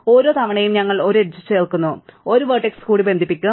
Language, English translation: Malayalam, Each time we add an edge; one more vertex would be connected